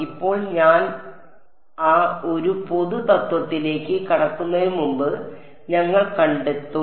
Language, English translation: Malayalam, Now before I get into that one general principle we will derive